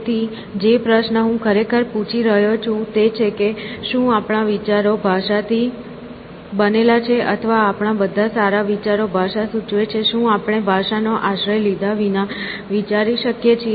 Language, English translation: Gujarati, So, the question I am asking really is that our thoughts made up of language, or all our thoughts, good thoughts imply language; can we think without taking recourse to language